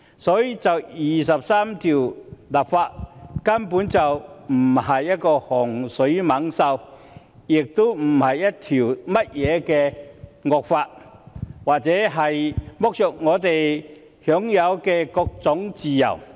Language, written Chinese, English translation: Cantonese, 所以，就第二十三條立法根本不是洪水猛獸，亦不是甚麼惡法，也不會剝削我們享有的各種自由。, Hence legislating for Article 23 is basically neither a scourge nor a draconian law it will not deprive us of various kinds of freedom